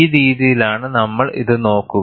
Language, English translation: Malayalam, This is the way we will look at it